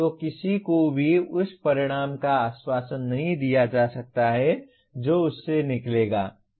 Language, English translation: Hindi, So one cannot be assured of the results that would come out of that